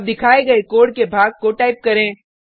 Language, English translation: Hindi, Now type the piece of code shown